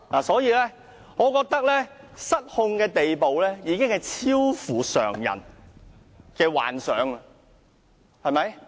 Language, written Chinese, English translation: Cantonese, 所以，我覺得他失控的程度，已超乎常人的想象，對嗎？, Hence I think his losing control is beyond ordinary peoples imagination right?